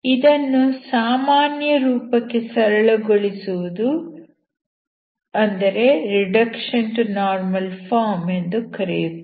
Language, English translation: Kannada, So this is called reducing into normal form